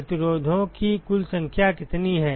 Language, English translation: Hindi, What is the total number of the resistances